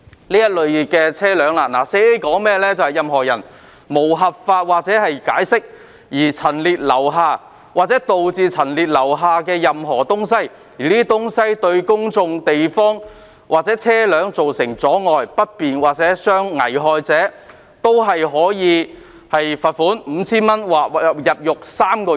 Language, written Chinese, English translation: Cantonese, 《簡易程序治罪條例》第 4A 條訂明："任何人無合法權限或解釋而陳列或留下，或導致陳列或留下任何物品或東西，而這些物品或東西對在公眾地方的人或車輛造成阻礙、不便或危害者......可處罰款 $5,000 或監禁3個月。, Section 4A of the Summary Offences Ordinance stipulates that [a]ny person who without lawful authority or excuse sets out or leaves or causes to be set out or left any matter or thing which obstructs inconveniences or endangers any person or vehicle in a public place shall be liable to a fine of 5,000 or to imprisonment for 3 months